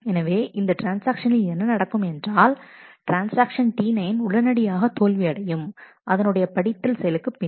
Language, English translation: Tamil, So, what happens is what if the transaction will fail the transaction T 9 will fail immediately after the read operation